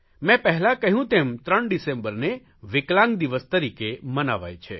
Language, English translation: Gujarati, Like I said earlier, 3rd December is being celebrated as "International Day of People with Disability"